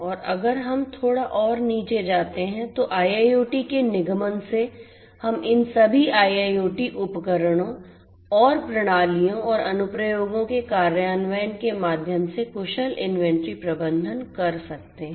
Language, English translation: Hindi, And if we go little deeper down, so with the incorporation of IIoT we can have efficient inventory management through the implementation of all these IIoT devices and systems and applications